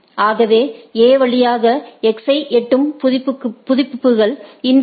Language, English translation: Tamil, So, what A updates that reaching X via A is infinity right